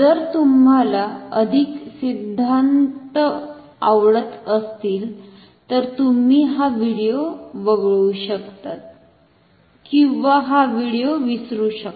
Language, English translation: Marathi, If you are if you like theories more, then you can skip this video or forget this video